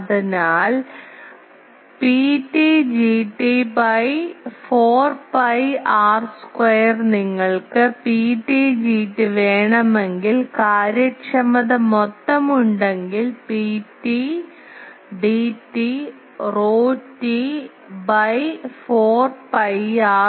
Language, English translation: Malayalam, So, P t G t by 4 pi r square if you want this G t means actually P t G t then if there is efficiency total then sorry P t D t by 4 pi r square